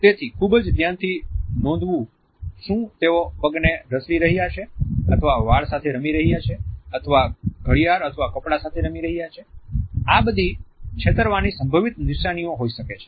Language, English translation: Gujarati, Are they shuffling the feet or playing with the hair or massing with the watch or clothing, all these could be potential signs of deceit